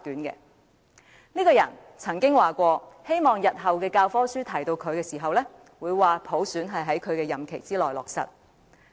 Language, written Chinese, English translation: Cantonese, 他曾經表示，希望日後的教科書談到他時，會提及普選是在他的任期內落實。, He once said he wished that when the textbooks refer to him in future it will be stated that universal suffrage was implemented during his term of office